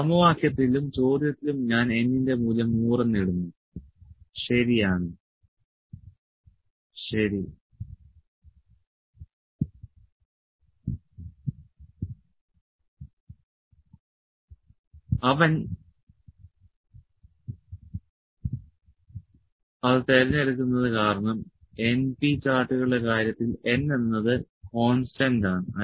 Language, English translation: Malayalam, So, I have putted in the equation as well in the question as well that the value of n is 100, ok, he is pick it from the because n is constant in case of np charts